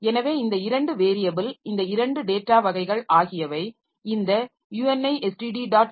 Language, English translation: Tamil, So, these two variable, these two data types are defined in this UNISD